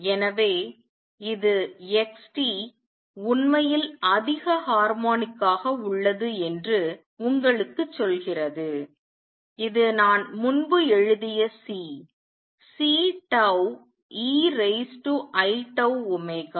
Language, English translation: Tamil, So, this is what tells you that x t actually has higher harmonic, also which I wrote earlier C; C tau e raise to i tau omega